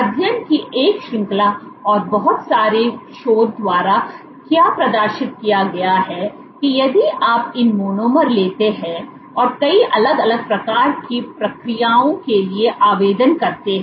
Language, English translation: Hindi, What has been demonstrated by a range of studies a lot of lot of researches that if you take monomers and these apply for multiple different type of processes